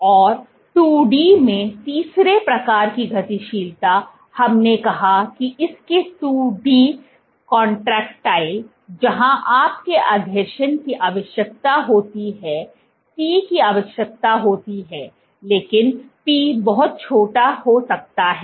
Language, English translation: Hindi, And the third kind of motility in 2 D, we said its 2D contractile; where, your adhesion is required, C is required, but P can be very small